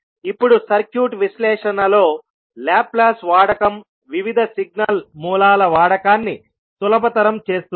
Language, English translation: Telugu, Now the use of Laplace in circuit analysis will facilitate the use of various signal sources